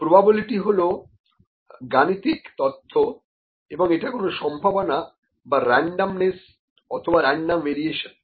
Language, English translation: Bengali, Probability is a mathematical theory that is intended to describe a chance, randomness or random variation, ok